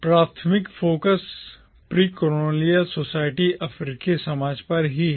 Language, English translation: Hindi, The primary focus is on the precolonial society, African society, itself